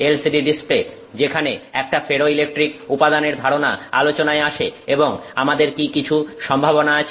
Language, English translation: Bengali, LCD displays where does the concept of a ferroelectric material enter into the picture and you know what what are some possibilities that we have